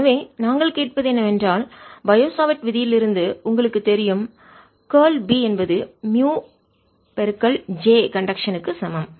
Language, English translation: Tamil, so what we are asking is: you know from the bio savart law that curl of b is equal to mu j conduction